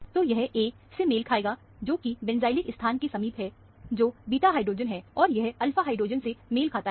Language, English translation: Hindi, So, this would correspond to A, which is close to the benzylic position, that is a beta hydrogen, and this is corresponding to the alpha hydrogen